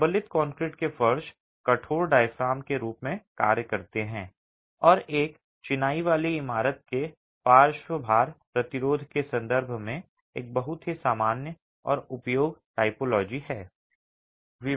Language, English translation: Hindi, The reinforced concrete floors act as rigid diaphragms and is a very common and useful typology in terms of even the lateral load resistance of a masonry building